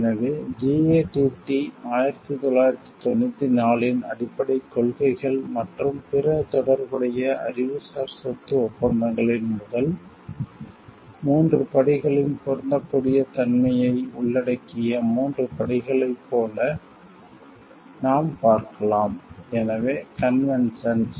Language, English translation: Tamil, So, we can see like it is the 3 steps which involves first 3 steps applicability of the basic principles of GATT 1994 and other relevant intellectual property agreements; so conventions